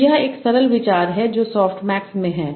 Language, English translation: Hindi, So this is a simple idea that is in soft max